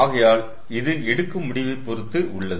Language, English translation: Tamil, so this depends on the decision ah